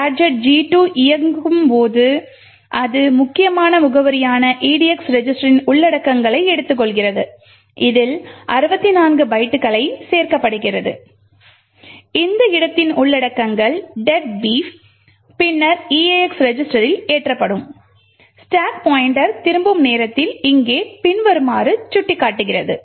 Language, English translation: Tamil, When the gadget G2 executes, it takes the contents of edx register which essentially is address, add 64 bytes to this and the contents of this location which is deadbeef is then loaded into the eax register, at the time of return the stack pointer is pointing as follows over here